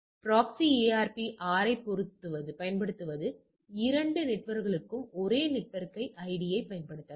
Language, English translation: Tamil, So, using proxy ARP R can use the same network id for both the networks all right